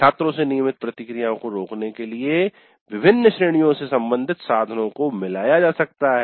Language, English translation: Hindi, Items belonging to different categories may be mixed up to prevent routine responses from students